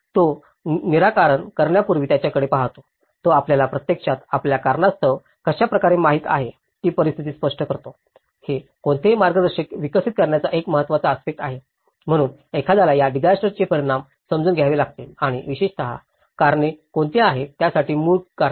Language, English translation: Marathi, He looks into the before coming into the solutions, he actually explains the situation of how the causes you know, this is a very important aspect of developing any guidance, so one has to understand the consequences of these disasters and especially, what are the causes; root causes for it